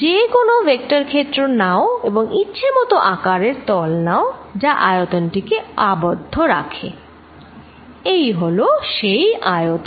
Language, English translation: Bengali, Take any vector field and now take a surface which is of arbitrary shape and encloses the volumes, this is the volume